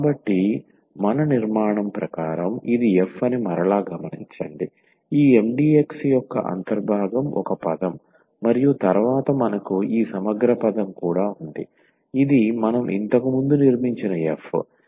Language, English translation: Telugu, So, just to note again that this was the f as per our construction the integral of this Mdx was one term and then we have also this integral term this is f which we have just constructed before